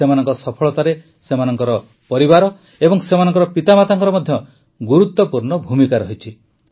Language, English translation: Odia, In their success, their family, and parents too, have had a big role to play